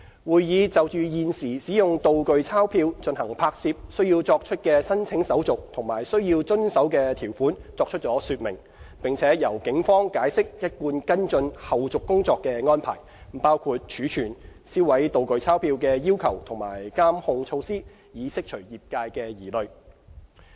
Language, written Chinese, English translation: Cantonese, 會議就現時使用"道具鈔票"進行拍攝須作出的申請手續及須遵守的條款作出了說明，並由警方解釋一貫跟進後續工作的安排，包括儲存、銷毀"道具鈔票"的要求及監控措施，以釋除業界的疑慮。, At the meeting to ease the concerns of the trade detailed explanations were given on the existing application procedures and compliance requirements for using prop currency notes for filming; the Police also elaborated on their established follow - up arrangements including the requirements for storage and destruction of the prop currency notes and monitoring measures